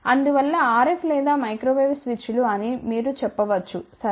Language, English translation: Telugu, Hence, RF or microwave switches you can say ok